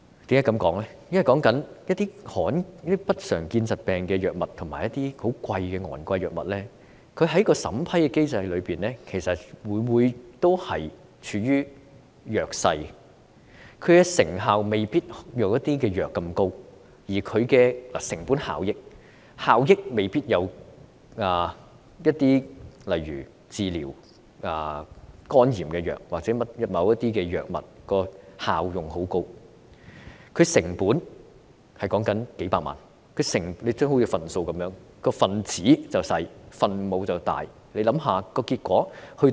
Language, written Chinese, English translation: Cantonese, 現在一些不常見疾病的藥品及昂貴的藥物，在審批機制中往往處於弱勢，其成效未必如某些藥物那麼高，成本效益亦未必及得上例如治療肝炎藥物或某些高效用藥物，但成本卻高達數百萬元，好像分數般，分子小而分母大，想想結果會怎樣？, At present some medicines for uncommon diseases and expensive drugs are often found in an unfavourable position in the approval mechanism because they may not be so effective as certain drugs nor comparable in cost - effectiveness to certain highly effective drugs such as hepatitis drugs but their cost reaches up to millions of dollars like a fraction with a small numerator and a large denominator . Just think what will be the result?